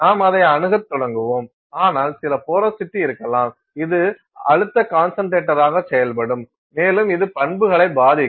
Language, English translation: Tamil, You will start approaching it, but you may have some porosity which will act as a stress concentrator and it will affect properties